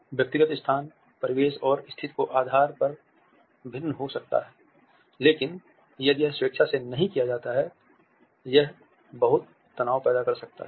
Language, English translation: Hindi, Personal space varies depending on the surroundings and at the situation, but it is not done willingly it can create a lot of tension